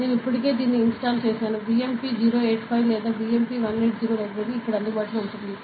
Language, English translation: Telugu, So, I have already installed it, BMP 085 or BMP 180 library is available here